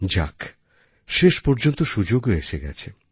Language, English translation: Bengali, Anyway, finally the opportunity has dawned